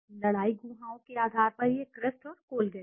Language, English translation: Hindi, In basis of fight cavities it is Crest and Colgate